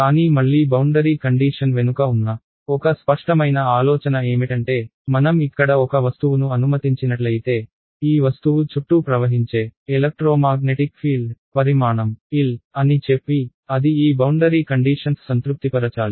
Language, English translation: Telugu, But again what is an intuitive idea behind boundary condition, is that if I have let us say an object over here, let us say size L the electromagnetic field that is flowing around this object, it has to sort of respect this boundary